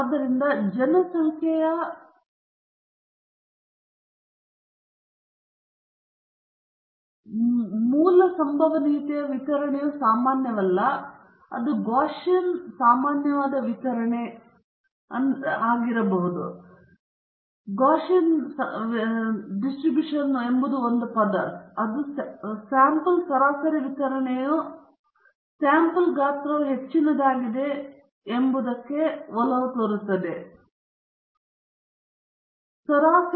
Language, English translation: Kannada, So, even if the original probability distribution of the population is not normal or Gaussian Gaussian is another term for the normal distribution the sample mean distribution tends towards the normality provided the sample size is high, say greater than 30